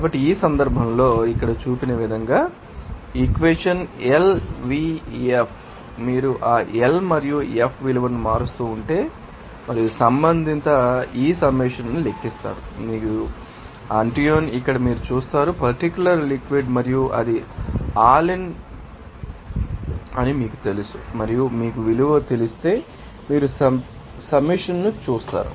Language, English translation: Telugu, So, in this case, very interesting that this equation as shown here, L, V, F if you keep on changing that L and F value, and also respective, you calculate that summation of this, you know, Antoine is here you see that particular liquid and you know that that is al and if you know value, you will see that the submission